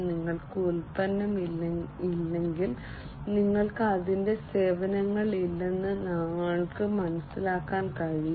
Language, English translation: Malayalam, And we can understand that if you do not have product, you do not have its services